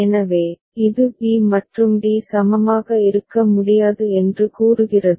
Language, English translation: Tamil, So, this is saying that b and d cannot be equivalent